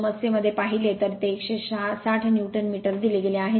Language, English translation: Marathi, If you see in the problem it is given 160 Newton meter right